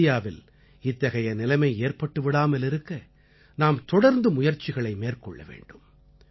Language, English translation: Tamil, In order to ensure that India does not have to face such a situation, we have to keep trying ceaselessly